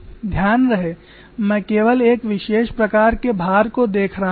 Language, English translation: Hindi, Here we are looking only at a particular type of loading